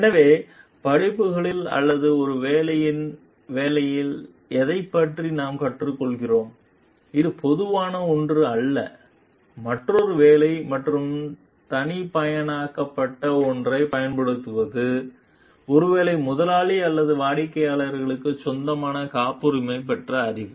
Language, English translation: Tamil, So, which one we learn about in courses or on a job which is something general or using another job and something which is customized maybe perhaps patented knowledge belonging to the employer or client